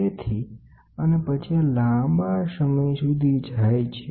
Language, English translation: Gujarati, So, and then this goes long